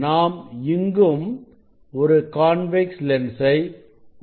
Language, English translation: Tamil, we use convex lens